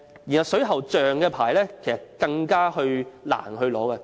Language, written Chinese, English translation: Cantonese, 原來水喉匠的牌照是更難考取。, It turns out that getting a plumber licence is even more challenging